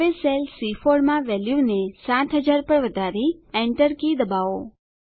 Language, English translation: Gujarati, Now, let us increase the value in cell C4 to 7000 and press the Enter key